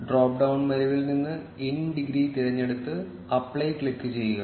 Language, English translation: Malayalam, Select in degree from the drop down menu and click on apply